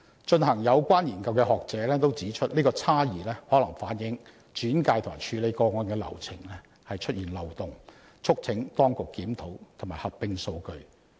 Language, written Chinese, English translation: Cantonese, 進行有關研究的學者也指出，這個差異可能反映轉介及處理個案的流程出現漏洞，促請當局檢討及合併數據。, Scholars conducting the study pointed out that the discrepancy may reflect loopholes in the case referral and handling procedures urging the authorities to conduct a review and merge the data